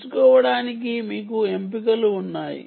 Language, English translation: Telugu, you have choices to choose from